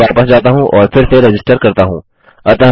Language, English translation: Hindi, Then I am going to go back and re register